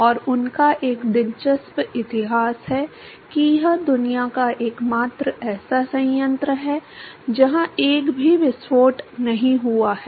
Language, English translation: Hindi, And they have an interesting history that that is the only plant in the world where there has not been a single explosion